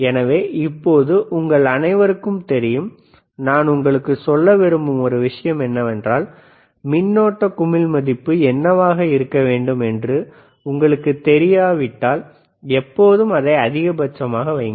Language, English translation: Tamil, So now, you all know so, one thing that I want to tell you is, if you iif you do not know what should be the current knob value should be, always make it maximum